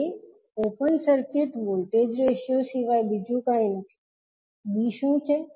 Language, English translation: Gujarati, a is nothing but open circuit voltage ratio, what is b